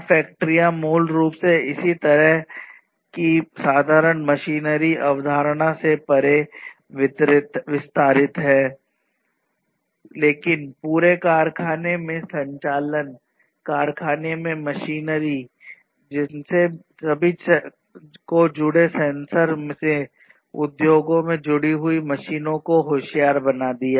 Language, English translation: Hindi, It is basically similar kind of concept extended beyond simple machinery, but you know having the entire factory operations, machinery in the factory, all of which made smarter with the introduction of connected sensors, connected machines and so on in the industries and so on